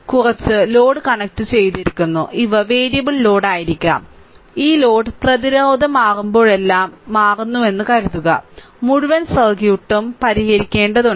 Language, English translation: Malayalam, And some load is connected and these may be variable load I mean suppose this load is changing if every time this load resistance is changing then whole circuit you have to solve right